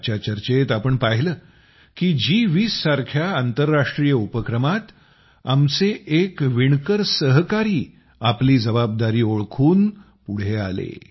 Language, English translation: Marathi, In today's discussion itself, we saw that in an international event like G20, one of our weaver companions understood his responsibility and came forward to fulfil it